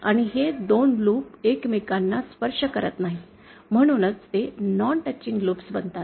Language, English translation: Marathi, And these 2 loops do not touch each other, so then they become non teaching loops